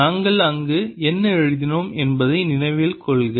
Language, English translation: Tamil, recall what did we write there